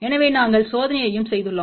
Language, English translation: Tamil, So, we have done the experiment also